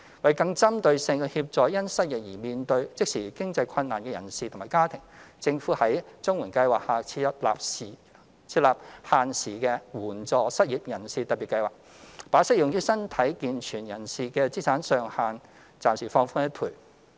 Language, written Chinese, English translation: Cantonese, 為更針對性地協助因失業而面對即時經濟困難的人士及其家庭，政府在綜援計劃下設立限時的援助失業人士特別計劃，把適用於身體健全人士的資產上限暫時放寬一倍。, To give more targeted support for the unemployed and their families who face immediate financial difficulties the Government has launched the time - limited Special Scheme of Assistance to the Unemployed under CSSA Scheme to temporarily relax the asset limits for able - bodied persons by 100 %